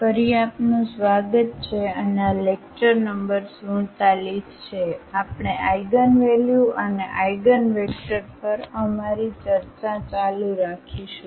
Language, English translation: Gujarati, Welcome back and this is a lecture number 47, we will continue our discussion on Eigenvalues and Eigenvectors